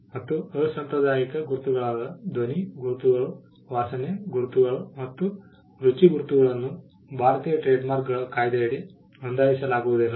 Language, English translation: Kannada, Unconventional marks like sound mark, smell marks and taste marks cannot be registered under the Indian trademarks act